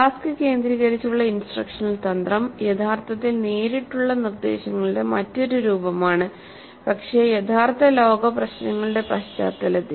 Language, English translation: Malayalam, Task centered instructional strategy by contrast is actually a form of direct instruction but in the context of real world problems